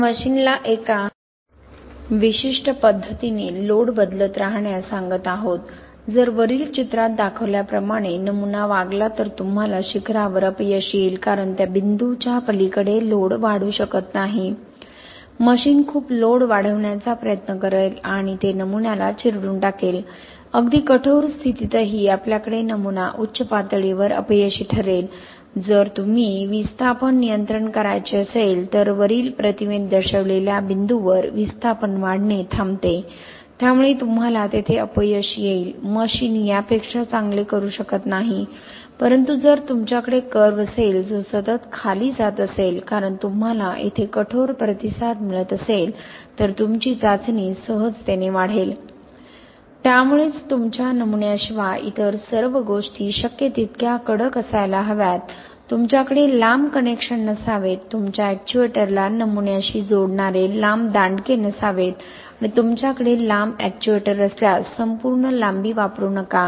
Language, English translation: Marathi, We are telling the machine keep changing load in a certain manner, if this was the specimen then this was the response as a specimen, I would get failure here because beyond that point load cannot increase, the machine will try to increase a lot of load and it crushes the specimen, even in this case this is where we will have the specimen failing okay, if you were to do displacement control, in this case this is the point where displacements stops increasing, so you will have failure there, the machine cannot do better than this but if you had a curve that was constantly going down like this because you had stiffer response here then you will have a smoothly increasing test okay